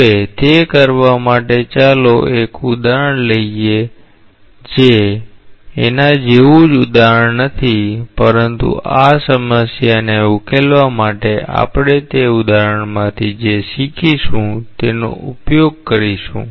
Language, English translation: Gujarati, Now, to do that, let us take an example which is not the same example but we will utilize what we learn from that example to solve this problem